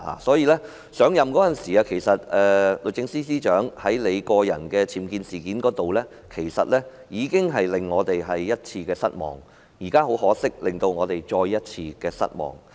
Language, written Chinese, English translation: Cantonese, 所以，律政司司長上任時，在她個人的僭建事件上，其實已經令我們失望一次，現在很可惜，她再次令我們失望。, For that reason the Secretary for Justice has already let us down once when she assumed office because of the unauthorized building works in her residence . Unfortunately she has let us down once again